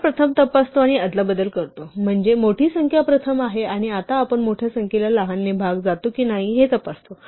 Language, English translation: Marathi, We first of course check and swap, so that the bigger number is first and now we check whether the bigger number is divisible by the smaller